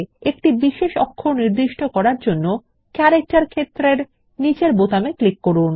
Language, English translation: Bengali, To assign a special character, click on the button below the character field